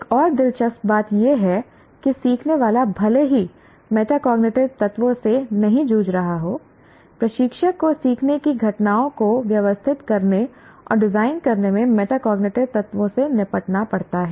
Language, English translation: Hindi, And another interesting thing is while the learner may not be directly dealing with metacognitive elements, the instructor has to deal with metacognitive elements in organizing and designing learning events